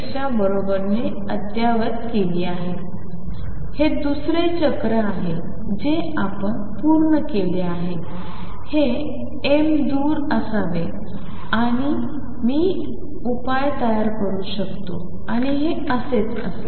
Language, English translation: Marathi, This is another cycle we have completed this m should be way away and now I can build up the solution and so on